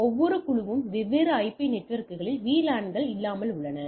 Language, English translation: Tamil, So, without VLANs each group on the different IP networks and so and so forth